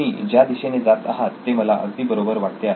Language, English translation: Marathi, So I like the direction in which you are going